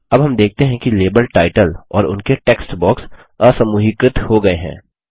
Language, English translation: Hindi, Now we see that the label title and its text box have been ungrouped